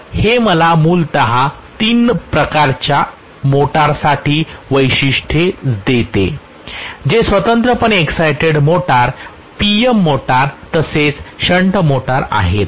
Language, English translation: Marathi, So this gives me basically the characteristics for all three types of motors that is separately excited motors, PM motors as well as shunt motor